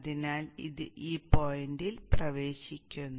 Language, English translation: Malayalam, Here, it goes in at this point